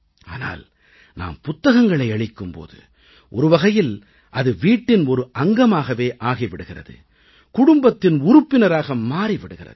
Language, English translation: Tamil, But when you present a book, it becomes a part of the household, a part of the family